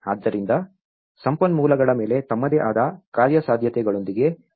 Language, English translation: Kannada, So, how they can expand with their own feasibilities on the resources